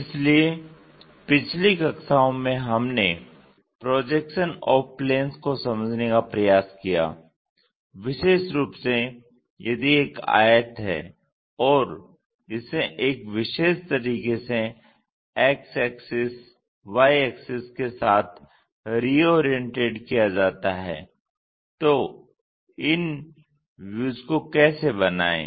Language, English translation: Hindi, So, in the last classes we try to look at projection of planes, especially if there is a rectangle and that rectangle if it is reoriented with the X axis, Y axis in a specialized way, how to construct these views